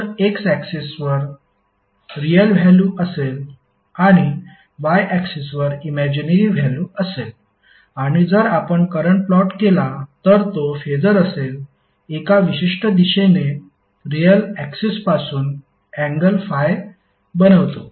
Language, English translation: Marathi, So you will have the x axis you will have real value and the y axis you will have imaginary value and if you plot current so it will be Phasor will be in one particular direction making Phi angle from real axis